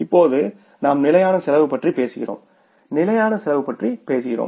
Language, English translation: Tamil, Now, we talk about the fixed cost